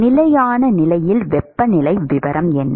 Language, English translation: Tamil, What is the temperature profile